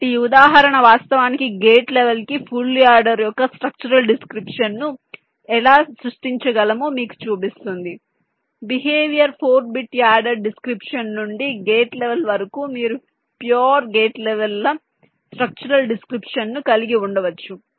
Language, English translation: Telugu, these example actually shows you that how we can create a structural description of a full adder down to the gate level from the behavior four bit, add a description down to the gate level, you can have a pure gate levels structural description